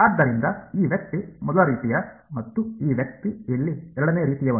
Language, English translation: Kannada, So, this guy is the first kind and this guy is the second kind over here ok